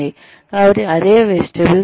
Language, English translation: Telugu, So, that is vestibule training